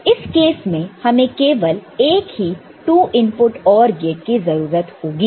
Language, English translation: Hindi, So, in that case, we just need one two input OR gate as we have seen